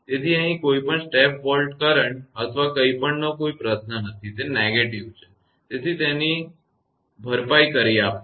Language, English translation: Gujarati, So, nothing is here no question of any step volt current or anything, it is negative; so it is compensating